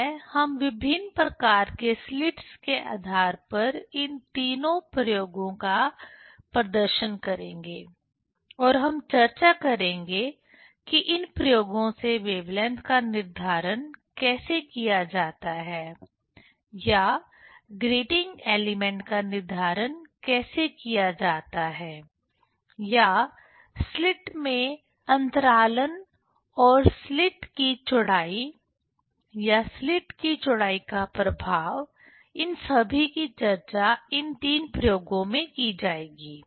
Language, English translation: Hindi, So, we will demonstrate all these three experiments based on the different types of slits and we will discuss how to determine the wavelength from these experiments or how to determine the grating element or spacing of the slit and width of the slit, or the effect of the width of the slit all these things will be discussed in these three experiments